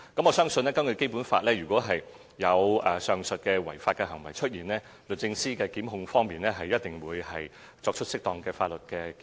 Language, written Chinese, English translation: Cantonese, 我相信，根據《基本法》，如有上述違法行為出現，律政司一定會跟進，作出適當的檢控。, I trust that under the Basic Law the Department of Justice will certainly follow up any of the unlawful acts above and properly initiate prosecution